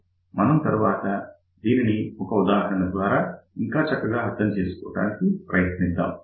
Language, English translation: Telugu, We will take an example later on then this will be more clear